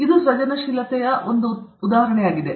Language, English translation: Kannada, This is also an instance of creativity